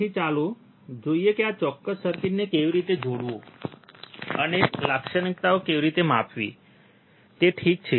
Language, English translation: Gujarati, So, let us see how to how to connect this particular circuit and how to measure the characteristics ok, alright